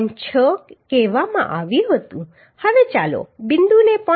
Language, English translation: Gujarati, 6fy now let us consider point say 0